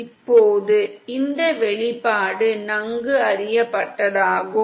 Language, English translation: Tamil, Now this expression is well known